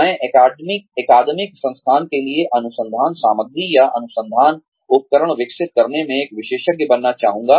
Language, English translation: Hindi, I would like to be an expert, in developing research material, or research tools, for academic institutions